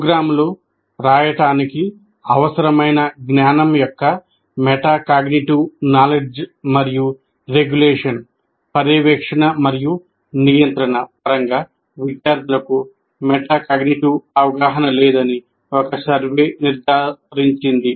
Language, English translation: Telugu, A survey established that students lack metacognitiveitive awareness both in terms of metacognitive knowledge and regulation are what we are calling monitoring and control of cognition needed for writing programs